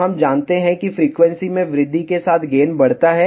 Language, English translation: Hindi, So, as frequency increases, gain increases